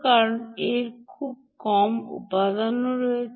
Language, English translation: Bengali, because it has very fewer components